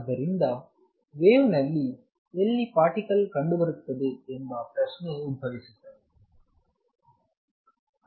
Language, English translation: Kannada, So, question arises where in the wave is the particle to be found